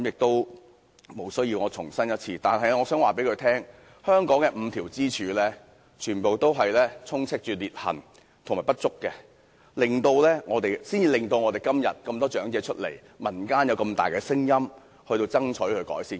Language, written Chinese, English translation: Cantonese, 不過，我想告訴他，正因香港那5根支柱充斥裂痕和不足，今天才有那麼多長者站出來，民間才有這麼大的聲音爭取要求改善。, Yet I would like to tell him that exactly because of the cracks and inadequacies found in the five pillars of Hong Kong many elderly people have come forward today and the community has expressed a strong demand for improvement